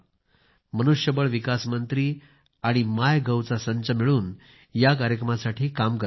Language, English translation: Marathi, The HRD ministry and the MyGov team are jointly working on it